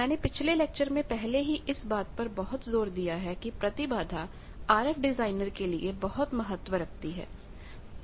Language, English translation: Hindi, You know I have already in my first lecture emphasized the need of impedance for an RF designer